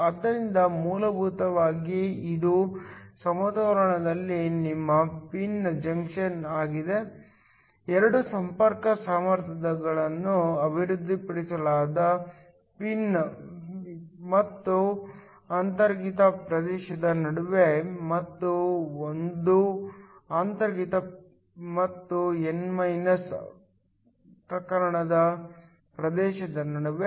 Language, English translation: Kannada, So, essentially this is your pin junction in equilibrium; there are 2 contact potentials are developed one between the p and the intrinsic region, and one between the intrinsic and the n type region